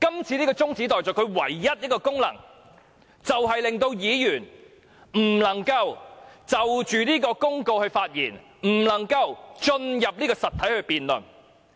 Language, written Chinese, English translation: Cantonese, 這項中止待續議案的唯一功能是，令議員不能就《公告》發言，不能進入實體辯論。, The only effect of this adjournment motion is to stop Members from speaking on the Notice or engaging in a substantial debate